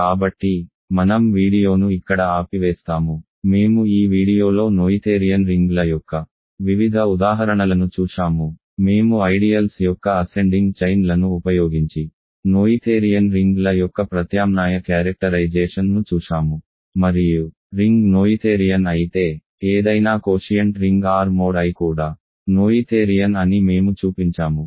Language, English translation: Telugu, So, let me stop the video here, we have in this video looked at various examples of noetherian rings, we looked at an alternate characterization of noetherian rings using ascending chains of ideals and we showed that if a ring is noetherian, any quotient ring R mod I is also noetherian